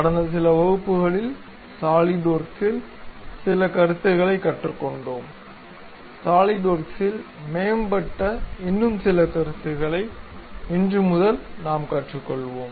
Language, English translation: Tamil, In last few classes, we learned some of the concepts in Solidworks; advanced concepts in solidworks from today onwards, we will learn it